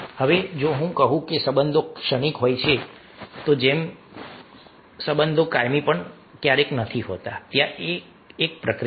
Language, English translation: Gujarati, now, if i say that relationship are transitory in nature, as i say that no relationship are permanent, there is a process here for our understanding